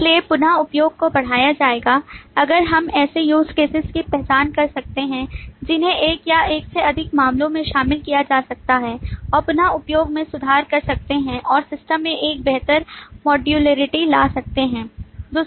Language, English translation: Hindi, So the reuse will be enhanced if we can identify such use cases which can be included in one or more multiple cases and can improve the re use and bring a better modularity to the system